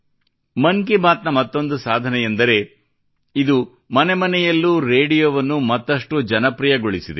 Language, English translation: Kannada, Another achievement of 'Mann Ki Baat' is that it has made radio more popular in every household